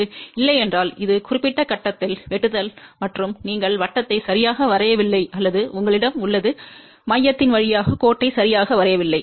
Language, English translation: Tamil, If it is not cutting at this particular point and either you have not drawn the circle properly or you have not drawn the line properly through the center ok